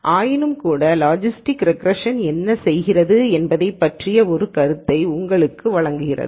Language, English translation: Tamil, Nonetheless so, it gives you an idea of what logistic regression is doing